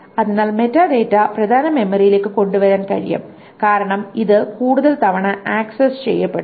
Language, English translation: Malayalam, So the metadata can be brought into main memory because it is accessed much more often